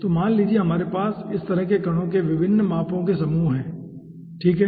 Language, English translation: Hindi, so let say we are having a cluster of different sizes of the particles like this